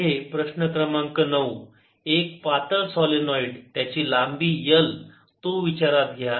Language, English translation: Marathi, next problem number nine: consider a thin solenoid of length l